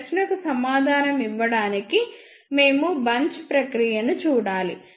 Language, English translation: Telugu, To answer this question we need to see the bunching process